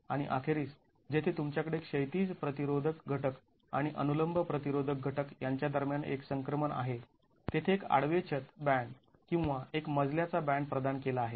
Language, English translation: Marathi, And finally, where you have a transition between the horizontal resisting element and the vertical resisting element, a horizontal roof band or a floor band is provided